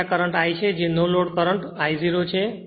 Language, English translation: Gujarati, So, this is the currentI that is no load current I 0